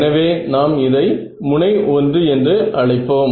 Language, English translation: Tamil, So, let us called this edge 1